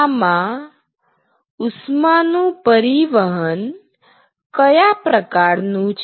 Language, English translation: Gujarati, What is the mode of heat transfer